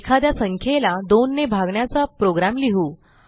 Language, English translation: Marathi, We shall write a program that divides a number by 2